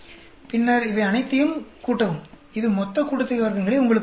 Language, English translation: Tamil, Then add up all these; that will give you total sum of squares